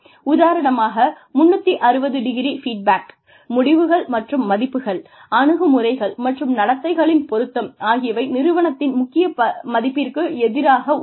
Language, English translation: Tamil, For example, 360ø feedback, results, and mapping of values, attitudes and behaviors, against core values of the organization